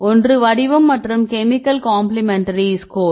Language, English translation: Tamil, First one is the shape and chemical complementary score